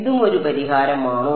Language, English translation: Malayalam, Is this also a solution